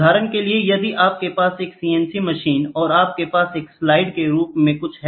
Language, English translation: Hindi, For example, if you have a CNC machine and you have something called as a slide